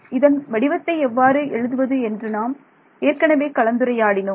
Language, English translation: Tamil, And we have already discussed what is the form to write this thing